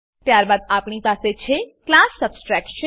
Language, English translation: Gujarati, Then we have class Subtraction